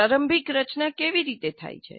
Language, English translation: Gujarati, So how does the initial formulation take place